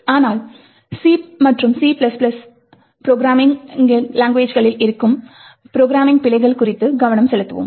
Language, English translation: Tamil, So, but we will be actually focusing on programming bugs present in C and C++ programs